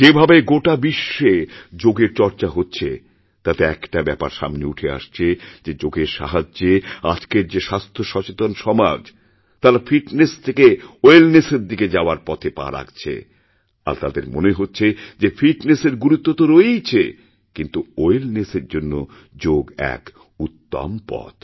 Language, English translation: Bengali, One significant outcome of the way the yoga is being talked about all around the world is the portent that today's health conscious society is now taking steps from fitness to wellness, and they have realised that fitness is, of course, important, but for true wellness, yoga is the best way